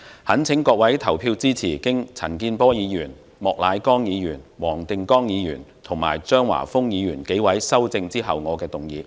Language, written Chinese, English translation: Cantonese, 懇請各位投票支持經陳健波議員、莫乃光議員、黃定光議員及張華峰議員修正後的原議案。, I implore Honourable Members to vote in favour of the original motion as amended by Mr CHAN Kin - por Mr Charles Peter MOK Mr WONG Ting - kwong and Mr Christopher CHEUNG